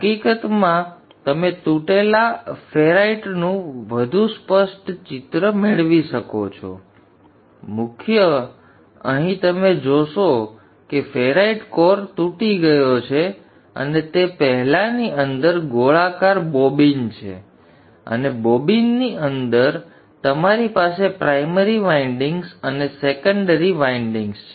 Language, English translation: Gujarati, You see that the ferrite core is broken and within that is the former this is a circular bobbin and within the bobbin you have the windings primary and the secondary windings